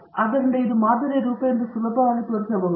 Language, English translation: Kannada, So, you can easily show that this is the form of the model